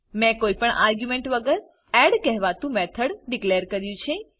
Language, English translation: Gujarati, Here we have declared a method called add without any arguments